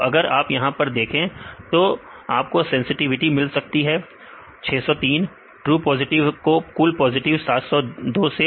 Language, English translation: Hindi, So, if you see this one then you can get the sensitivity true positive 603 divided by total positives this is the 702